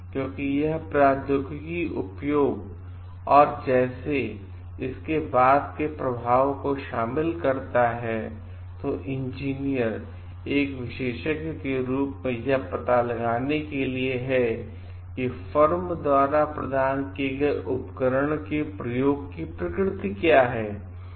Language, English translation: Hindi, Because it uses like involves the uses of technology and these are after effects of it, then engineer is there is an expert to find out what is the degree of firm provided by the nature of instrument that is being used